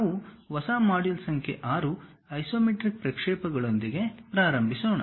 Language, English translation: Kannada, We are covering a new module 6, begin with Isometric Projections